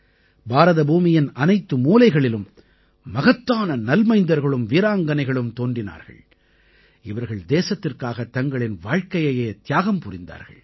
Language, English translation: Tamil, In every corner of this land, Bharatbhoomi, great sons and brave daughters were born who gave up their lives for the nation